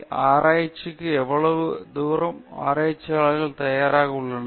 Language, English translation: Tamil, And how far researchers are willing to share this